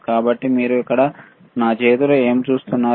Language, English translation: Telugu, So, what do you see in my hand here, right